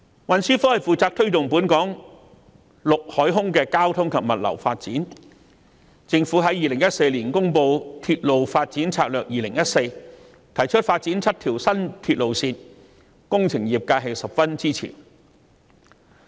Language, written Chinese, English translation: Cantonese, 運輸科負責推動本港陸海空交通及物流發展，而政府在2014年公布《鐵路發展策略2014》，提出發展7條新鐵路線，工程業界十分支持。, The Transport Branch is responsible for promoting the development of land sea and air transportation as well as logistics in Hong Kong . The Government announced the Railway Development Strategy 2014 in 2014 proposing the development of seven new railway lines which has gained strong support from the engineering sector